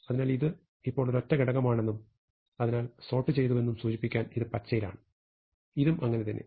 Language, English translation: Malayalam, So, this is in green to indicate that this is now a single element and hence sorted, so is this